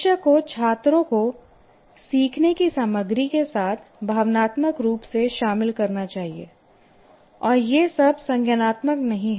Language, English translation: Hindi, This teacher should get students emotionally involved with the learning content